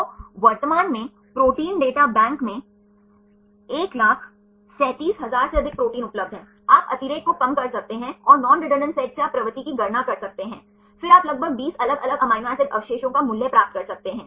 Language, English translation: Hindi, So, currently more than 137000 proteins are available in the protein data bank, you can reduce redundancy right and from the non redundant set you can calculate the propensity, then you can get a value about 20 different amino acid residues